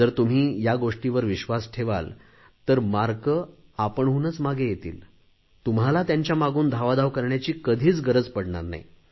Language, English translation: Marathi, If you will have faith in these things, then marks will automatically follow you and you will never have to chase marks